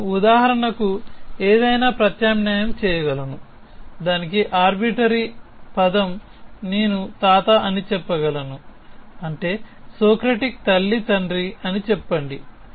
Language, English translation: Telugu, I could substitute any for example, arbitrary term for it I could say the grandfather of which means let us say the father of mother of Socratic